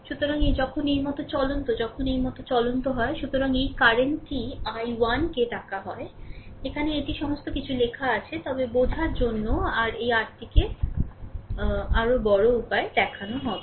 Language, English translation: Bengali, So, this when you are move moving like these you are moving like these, right; so, this current is your what you call I 1, here it is written everything, but for your understanding we will making this your what you call this showing in bigger way, right